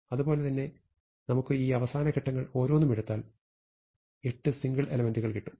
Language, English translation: Malayalam, And in the same way we can take each of these last steps and get now 8 single elements, which are sorted